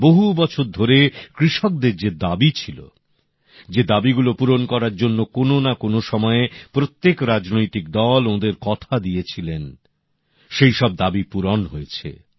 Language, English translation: Bengali, The demands that have been made by farmers for years, that every political party, at some point or the other made the promise to fulfill, those demands have been met